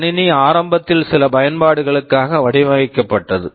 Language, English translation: Tamil, The system was initially designed for certain application